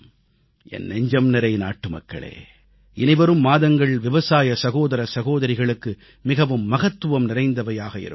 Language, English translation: Tamil, My dear countrymen, the coming months are very crucial for our farming brothers and sisters